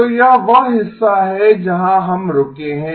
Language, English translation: Hindi, So that is the part at where we have stopped